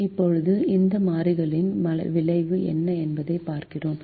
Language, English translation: Tamil, now we see what is the effect of this change